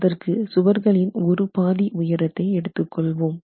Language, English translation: Tamil, We take one half of the height of the walls, so 0